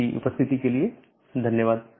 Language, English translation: Hindi, Thank you for attending this class